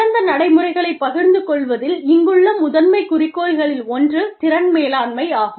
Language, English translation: Tamil, The one of the primary goals here, in sharing best practices, is talent management